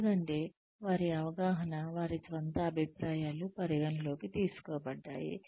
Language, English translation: Telugu, Because, their perception, their own opinions, have been taken into account